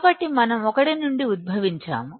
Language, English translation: Telugu, So, we are deriving from 1